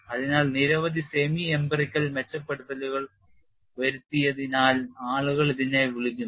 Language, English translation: Malayalam, So, people also call it as several semi empirical improvements have been made